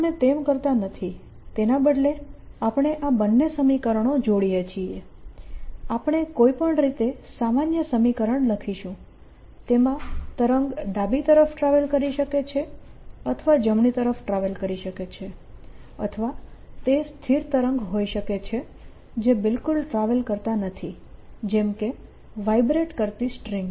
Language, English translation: Gujarati, instead, we combine this two equation, write a generally equation for any way which is travelling to the left or travelling to the right of the stationary wave not travelling at all, like a string vibrating